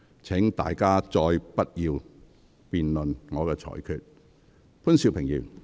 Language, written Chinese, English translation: Cantonese, 請各位不要再辯論我的裁決。, I urge Members not to debate on my ruling